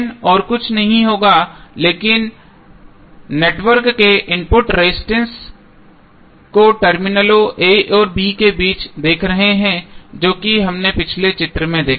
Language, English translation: Hindi, R N would be nothing but input resistance of the network looking between the terminals a and b so that is what we saw in the previous figure